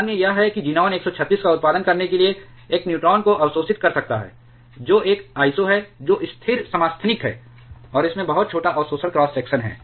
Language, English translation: Hindi, Other is it can absorb a neutron to produce xenon 136, which is a iso which is stable isotope, and it have a very small absorption cross section